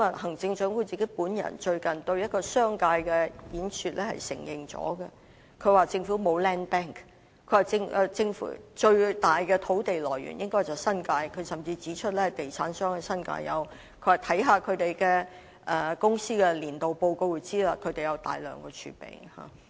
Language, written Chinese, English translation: Cantonese, 行政長官最近在一次對商界的演說中亦已承認這一點，她說政府沒有 land bank， 最大的土地來源應該是新界，她甚至指出地產商在新界擁有土地，只要看看這些公司的年度報告便知道它們有大量土地儲備。, The Chief Executive already admitted this point when she made a speech to the business sector recently . She said that the Government had no land bank and that the biggest source of land supply should be in the New Territories . She even said that the real estate developers had land in the New Territories and that one needed only to take a look at the annual reports of these corporations to learn that they had a huge reserve of land